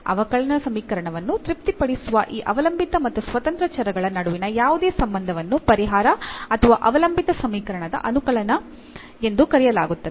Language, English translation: Kannada, So, any relation between this dependent and independent variable which satisfies the differential equation is called a solution or the integral of the differential equation